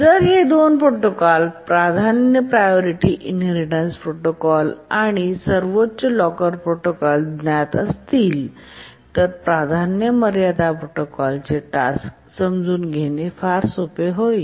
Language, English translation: Marathi, And if we know the two protocols, the priority inheritance protocol and the highest locker protocol, then it will become very easy to understand the working of the priority sealing protocol